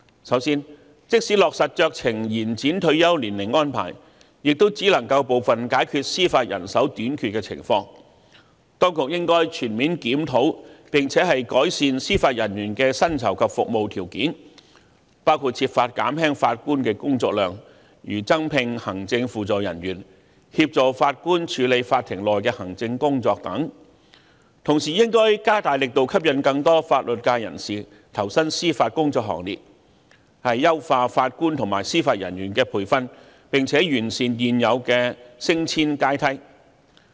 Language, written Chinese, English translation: Cantonese, 首先，即使落實酌情延展退休年齡安排，亦只能夠解決部分司法人手短缺的情況，因此當局應該全面檢討，並且改善司法人員的薪酬及服務條件，包括設法減輕法官的工作量，例如增聘行政輔助人員協助法官處理法庭內的行政工作等；同時亦應該加大力度，吸引更多法律界人士投身司法工作行列，優化法官及司法人員的培訓，並且完善現有的升遷階梯。, First even the arrangement of discretionary extension of retirement ages is implemented it may only partly solve the judicial manpower shortage problem . Therefore the authorities should comprehensively review and improve the salaries and conditions of service of Judicial Officers which includes finding ways to reduce the workload of Judges such as recruiting additional administrative supporting staff to assist Judges in handling the administrative work in court; meanwhile efforts should be strengthened in attracting more members of the legal profession to join the Bench optimizing the training for JJOs and perfecting the existing ladder for promotion